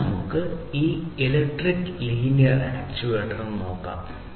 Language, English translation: Malayalam, Now, let us look at this electric linear actuator